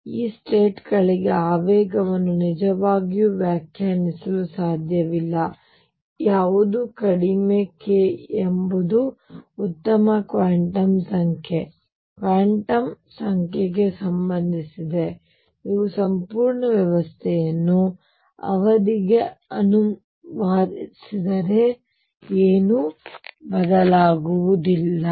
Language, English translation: Kannada, So, momentum cannot really be defined for these states none the less k is a good quantum number which is related to the cemetery that if you translate the whole system by the period a nothing changes